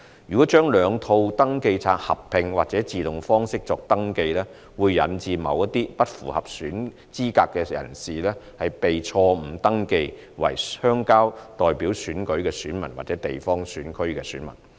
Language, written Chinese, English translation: Cantonese, 如將兩套登記冊合併及以自動方式作登記，會引致某些不符合資格的人士被錯誤登記為鄉郊代表選舉的選民或地方選區選民。, Combining the two registers and implementing automatic registration would result in certain unqualified persons being wrongly registered as electors for the election of rural representatives or geographical constituencies